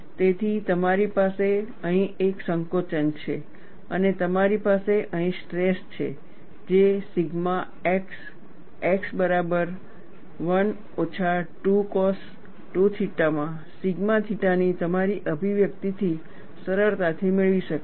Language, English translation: Gujarati, So, you have a compression here, and you have a tension here, which is easily obtainable from your expression of sigma theta theta equal to sigma x x into 1 minus 2 cos 2 theta